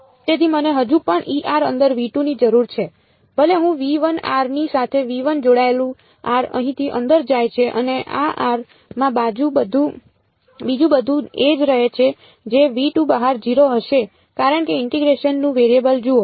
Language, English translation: Gujarati, So, I still need E r inside v 2 even though I am putting r belonging to v 1 r belonging to v 1 goes in over here and in this r everything else remains the same that is going to be 0 outside v 2 because see the variable of integration